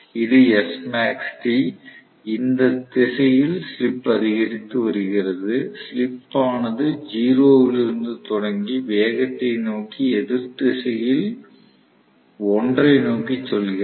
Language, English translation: Tamil, And this is Smax T, slip is increasing in this direction I hope you understand, slip is starting from 0 and going towards 1 in the opposite direction to that of the speed right